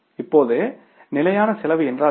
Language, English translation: Tamil, Now what is standard costing